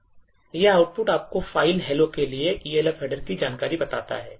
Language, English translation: Hindi, This output tells you the Elf header information for the file hello dot O